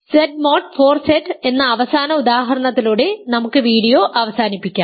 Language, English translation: Malayalam, So, let me end the video with one final example given by Z mod 4Z